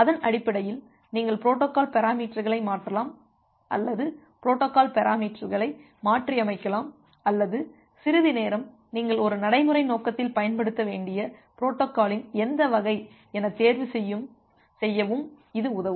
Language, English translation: Tamil, And based on that you can modify the protocol parameters or you can tune the protocol parameters or some time it will also help you to choose that which variant of protocol you should use in a practical purpose